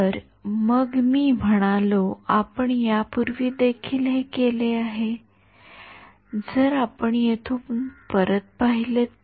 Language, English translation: Marathi, So, I mean we had done this earlier also, if you look back over here right